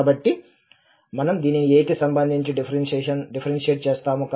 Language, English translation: Telugu, So, we differentiate this with respect to a